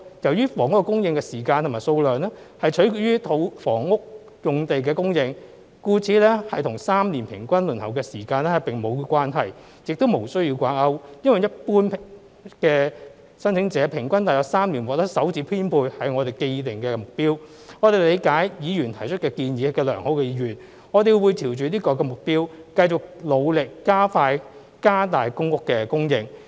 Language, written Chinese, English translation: Cantonese, 由於房屋供應的時間和數量取決於房屋用地的供應，故此與3年平均輪候時間並無關係，亦無須要掛鈎，因為一般的申請者平均約3年獲得首次編配是我們的既定目標，我們理解議員提出的建議有良好意願，我們會朝着這個目標繼續努力，加快、加大公屋的供應。, Since the delivery lead time and quantity of housing supply depend on housing land supply it has nothing to do with the average waiting time of three years and the targets need not be linked because allocating the first PRH unit to an average applicant in about three years on average is our established target . We appreciate the well - meant suggestion made by the Members concerned and will keep on working towards this target by quickening our pace and increasing the supply of PRH units